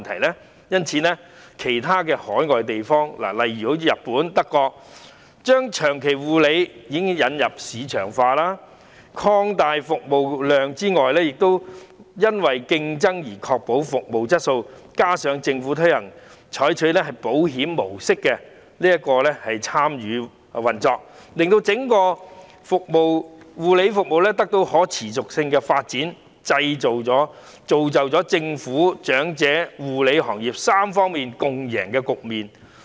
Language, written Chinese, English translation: Cantonese, 海外其他國家，例如日本和德國，都已為長期護理引入市場化模式，以擴大服務量，服務質素亦因為競爭而得以確保，加上政府透過採取保險模式參與運作，令整個護理服務行業得到可持續發展，造就了政府、長者和護理行業3方面共贏的局面。, Other overseas countries such as Japan and Germany have already introduced the mode of marketization for long - term care services to expand the service capacity and ensure a better service quality due to competition . In addition with the Governments participation via the insurance scheme model the whole care service industry can attain sustainable development thereby achieving a tripartite victory amongst the Government the elderly and the care service industry